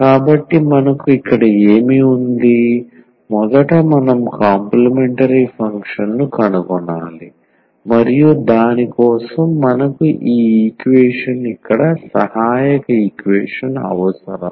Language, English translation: Telugu, So, what do we have here, first we need to find the complementary function and for that we need this equation here the auxiliary equation